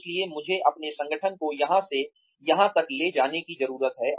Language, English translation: Hindi, So, what do I need to take my organization, from here to here